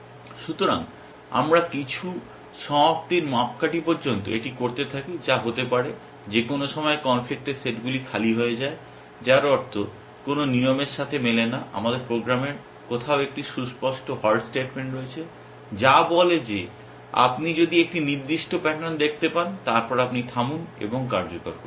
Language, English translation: Bengali, So, we keep doing this till some termination criteria which could be that either the conflict sets becomes empty at some point, which means no rules are matching all we have an explicit halt statement somewhere in the program which says if you see a certain pattern that then you halt and execute